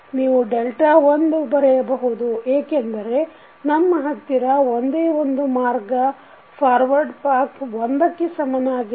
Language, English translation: Kannada, You can write delta 1 because we have only one forward path equal to 1